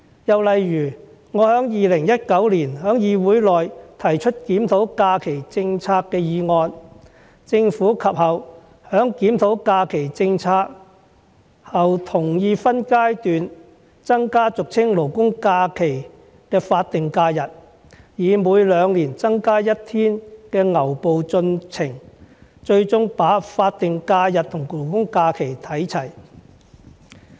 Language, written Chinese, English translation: Cantonese, 又例如我在2019年在議會內提出檢討假期政策的議案，政府及後在檢討假期政策後同意分階段增加俗稱"勞工假期"的法定假日，以每兩年增加1天的牛步進程，最終把法定假日和公眾假期看齊。, Another example is the motion on reviewing the holiday policy which I moved in this Council in 2019 . Subsequently after reviewing the holiday policy the Government agreed to increase in phases the number of statutory holidays which is commonly called labourers holidays . More precisely it will increase the number of statutory holidays slowly by one day every two years until it is ultimately equivalent to the number of general holidays